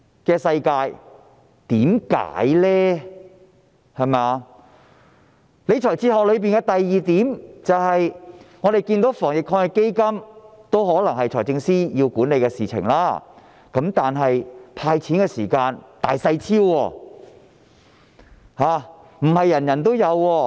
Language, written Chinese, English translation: Cantonese, 政府理財哲學所反映的第二點是，我們看到在防疫抗疫基金下——這可能是由財政司司長管理——"派錢"時卻"大細超"，不是每位市民也有。, The second point reflected in the Governments fiscal philosophy is that under the Anti - epidemic Fund―this may be managed by the Financial Secretary―there is favoritism in the cash payout as it is not available to every resident